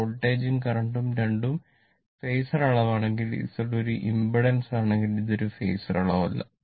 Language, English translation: Malayalam, If voltage and current both are phasor quantity, but Z is not a impedance, it is not a phasor quantity right